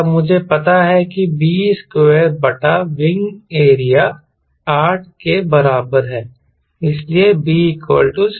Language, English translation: Hindi, then i know b square by wing area is equal to eight